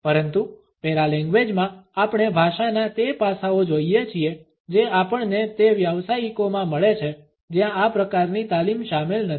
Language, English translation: Gujarati, But in paralanguage we look at those aspects of language which we come across in those professionals where this type of training is not included